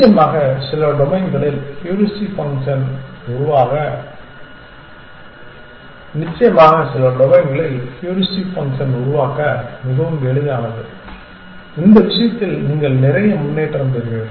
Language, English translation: Tamil, Of course, in some domains, where the heuristic function is very nice easy to build in which case you will get lot of improvement